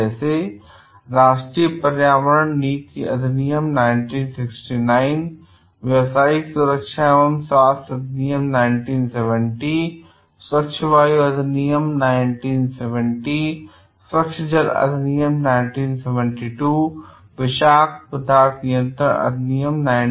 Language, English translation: Hindi, Like, National Environmental Policy act 1969, Occupational Safety and Health Act 1970, Clean Air Act 1970, Clean Water Act 1972, Toxic Substances Control Act 1976